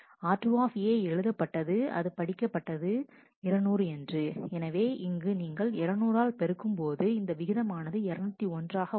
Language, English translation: Tamil, R 2 A had written had read 200, we hear and therefore, if you multiply 200 by this factor it becomes 201